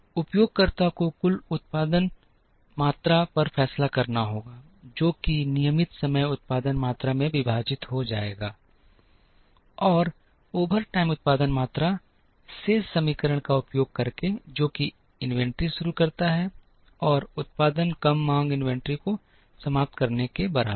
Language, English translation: Hindi, The user has to decide on the total production quantity, which will be split into regular time production quantity, and overtime production quantity, using the balance equation that beginning inventory plus production less demand is equal to ending inventory